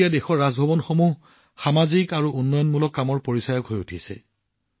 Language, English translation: Assamese, Now Raj Bhavans in the country are being identified with social and development work